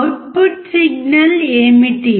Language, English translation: Telugu, What is the output signal